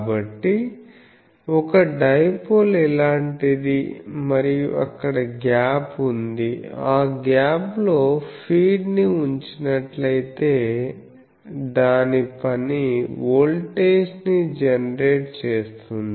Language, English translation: Telugu, And so, a dipole is something like this, and there is this gap in this gap we put let us say a some feed whose job is to put the voltage generator